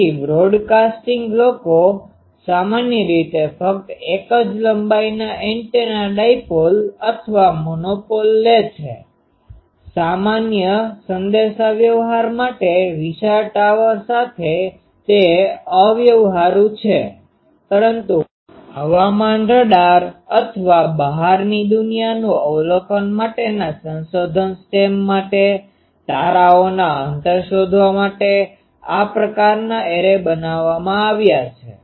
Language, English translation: Gujarati, So, broadcasting people generally take only single length antenna dipole or monopole basically, with a huge tower for normal communication it is impractical, but for weather radar or research stem for extraterrestrial observations looking at distance stars this type of arrays are made